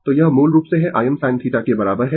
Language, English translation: Hindi, So, it is basically i is equal to I m sin theta